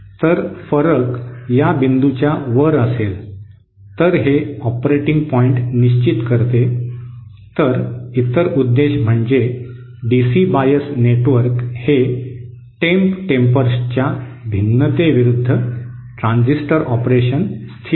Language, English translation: Marathi, So the variation will be above this point okay so that is quite setting the operating point then the other purpose is stabilises the DC bias network also stabilises transistor operation against variation of “temp tempers”